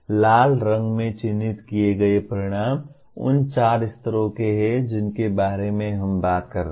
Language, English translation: Hindi, The ones marked in red are the four levels of outcomes we are talking about